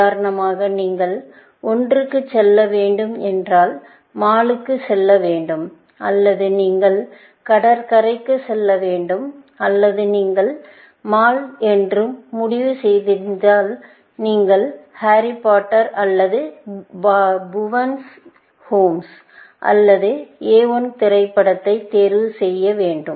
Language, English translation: Tamil, For example, you have to either, go to the mall or you have to go to the beach, or if you had decided upon the mall, then you have to either, choose Harry Potter or Bhuvan’s Home or A I, the movie, essentially